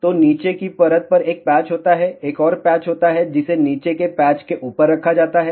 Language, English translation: Hindi, So, there is a one patch at the bottom layer there is a another patch which is put on the top of the bottom patch over here